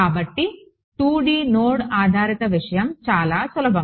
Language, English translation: Telugu, So, the 2D node based thing is very very simple right